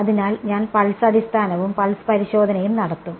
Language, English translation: Malayalam, So, I will do pulse basis and pulse testing right